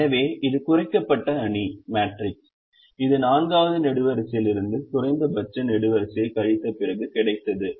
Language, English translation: Tamil, so this is the reduced matrix, after we subtract the column minimum from the fourth column